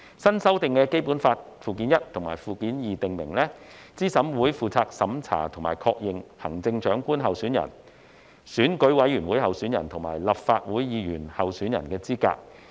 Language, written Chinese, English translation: Cantonese, 新修訂的《基本法》附件一和附件二訂明，資審會負責審查並確認行政長官候選人、選舉委員會委員候選人和立法會議員候選人的資格。, The newly amended Annexes I and II to Basic Law provide that CERC shall be responsible for reviewing and confirming the eligibility of candidates for Election Committee members for the office of Chief Executive and for Members of the Legislative Council